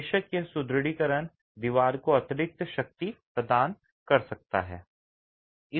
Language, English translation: Hindi, This reinforcement of course provides additional strength resistance to the wall